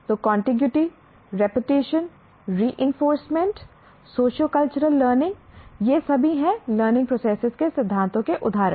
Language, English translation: Hindi, So, contiguity, repetition, reinforcement, socio cultural context of learning, these are all the examples of principles of learning process